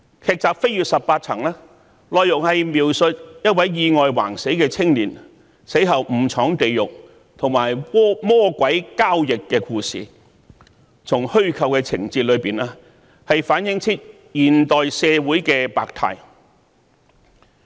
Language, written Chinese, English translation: Cantonese, 劇集"飛越十八層"的內容是描述一位意外橫死的青年死後誤闖地獄，與魔鬼交易，從虛構的情節中可反映現代社會的百態。, In the storyline of the drama series You Only Live Twice a young man died suddenly in an accident and having gone to hell unexpectedly he made a deal with a devil and the fictitious plots reflected the complexities of modern society